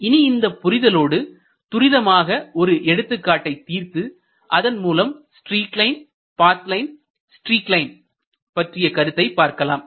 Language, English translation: Tamil, With this understanding we will try to quickly work out an example to illustrate the concept of these lines stream line, streak line and path line